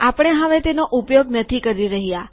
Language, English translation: Gujarati, We are not using that anymore